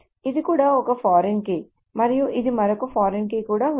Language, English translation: Telugu, So this is also a foreign key and this is also another foreign key